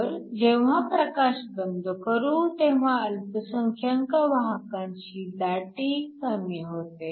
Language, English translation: Marathi, So, when the light is switched off, the concentration of the minority carriers essentially decrease